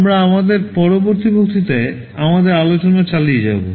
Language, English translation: Bengali, We shall be continuing with our discussion in our next lecture